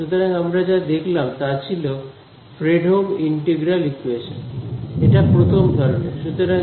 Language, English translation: Bengali, So, what we just saw was a Fredholm integral equation, this is of the 1st kind